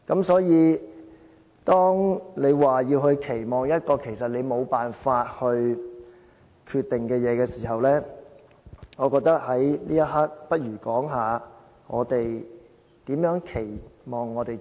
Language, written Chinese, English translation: Cantonese, 所以，當你要說對事情的期望，但其實這件事你沒有辦法決定的時候，我覺得倒不如說一說，我們對自己的期望。, Therefore if you want to talk about your expectations in regard to something that you can never decide I think it will be better for you talk about your expectations for yourselves